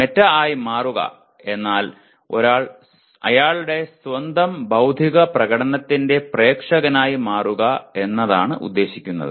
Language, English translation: Malayalam, Going meta means becoming an audience for one’s own intellectual performance